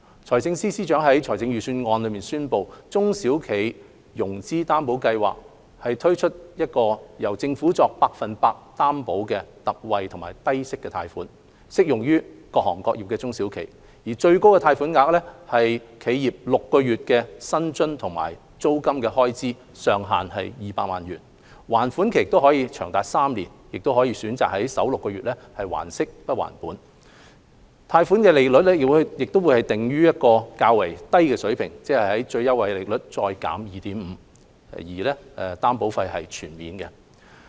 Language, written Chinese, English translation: Cantonese, 財政司司長在預算案中宣布在中小企融資擔保計劃下推出由政府作 100% 擔保的特惠低息貸款，適用於各行各業的中小企，最高貸款額為企業6個月的薪酬及租金開支，上限200萬元；還款期長達3年，可選擇首6個月還息不還本；貸款利率會訂於較低水平，即最優惠利率減 2.5%， 擔保費全免。, The Financial Secretary announced in the Budget the introduction of a concessionary low - interest loan under SFGS applicable to SMEs in all sectors for which the Government will provide 100 % guarantee . The maximum amount of the loan is the total amount of wages and rents for six months of the enterprise or 2 million at most . The maximum repayment period is three years with an optional principal moratorium for the first six months